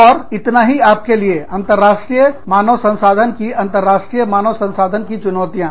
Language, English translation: Hindi, And, that is all, i have for you today, in this part of, international human resource challenges, to international human resources